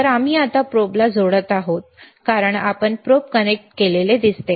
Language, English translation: Marathi, So, we are now connecting the probe as you see the probe is connected ok